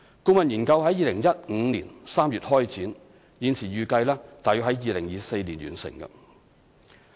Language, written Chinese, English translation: Cantonese, 顧問研究在2015年3月開展，現時預計約於2024年完成。, The study was commenced in March 2015 and is currently expected to be completed by 2024